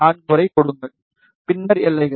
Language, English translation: Tamil, 4, and then boundaries